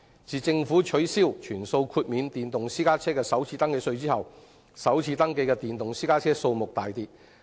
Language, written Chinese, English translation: Cantonese, 自政府取消全數豁免電動私家車首次登記稅後，首次登記的電動私家車數目大跌。, After the Government has scrapped the full exemption of FRT for electric private cars the number of electric private cars registered for the first time has tumbled